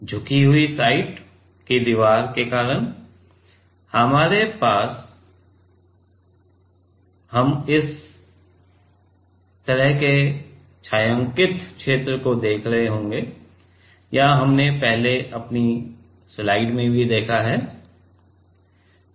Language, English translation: Hindi, Because of the inclined side wall, we will be having a; we will be seeing this kind of shaded region or do we have seen earlier in our slides